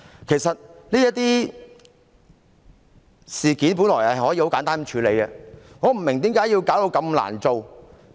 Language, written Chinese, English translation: Cantonese, 其實，這些事件本來可以簡單處理，我不明白為何要弄得這麼複雜。, Actually these incidents could have been handled in a most simple way . I do not understand why it turned out to be so complicated